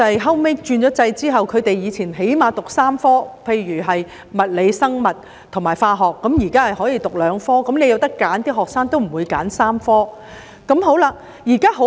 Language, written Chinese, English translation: Cantonese, 學生以前最少要修讀3科理科，例如物理、生物及化學；在轉制後，學生可以只修讀兩科，如果有選擇，學生都不會選3科理科。, In the past students had to take at least three science subjects such as physics biology and chemistry but following the change of the system students could choose to take only two science subjects . If given the choice students would not choose three science subjects